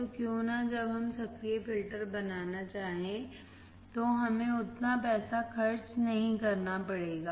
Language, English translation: Hindi, So, why not to make up active filters when, we do not have to spend that much money